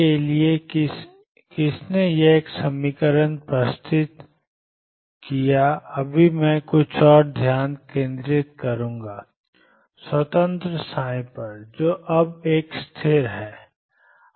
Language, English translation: Hindi, Who proposed an equation for psi and right now I will focus on time independent psi, now stationary psi